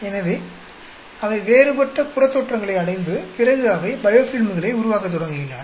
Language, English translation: Tamil, So, they go into a different phynotype and they start forming biofilms